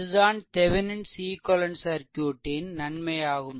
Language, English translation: Tamil, So, this is the Thevenin equivalent, Thevenin equivalent circuit